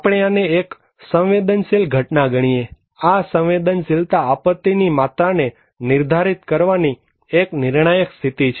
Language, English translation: Gujarati, We consider this is a vulnerability, that vulnerability is one of the critical conditions to define that the degree of disasters